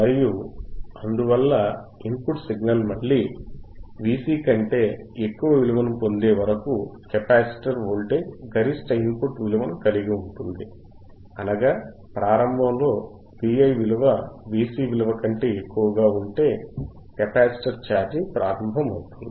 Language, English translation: Telugu, And hence the mythe capacitor holds a peak input value until the input signal again attains a value greater than V cVc, right; that means, initially if V iVi is greater than V cVc, capacitor will start charging